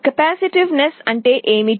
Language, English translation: Telugu, What is a capacitance